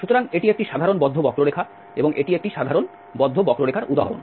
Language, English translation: Bengali, So, this is a simple closed curve, an example of a simple closed curve